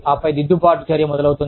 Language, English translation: Telugu, And then, of course, corrective action starts